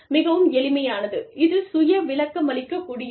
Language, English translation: Tamil, Very simple, very you know, this is self explanatory